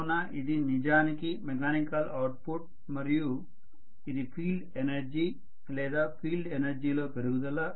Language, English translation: Telugu, So this is actually the mechanical output and this is the field energy or increase in the field energy